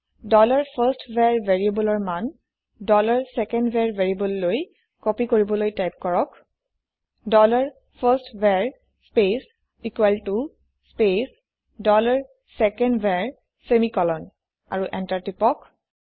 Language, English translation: Assamese, To copy the value of variable dollar firstVar to dollar secondVar, type dollar firstVar space equal to space dollar secondVar semicolon and press Enter